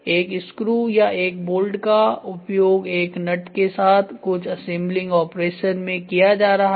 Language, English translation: Hindi, A screw or an or a bolt to be done to a nut and this is going to be used for assembling some operations